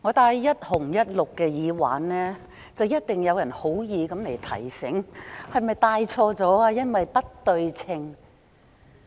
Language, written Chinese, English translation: Cantonese, 主席，當我戴着"一紅一綠"的耳環，一定有人會好意提醒，問我是否戴錯了，因為不對稱。, President as I am wearing a red earring on side and a green earring on the other people with good intentions will definitely ask me if I am wearing the wrong pair of earrings because they are not symmetrical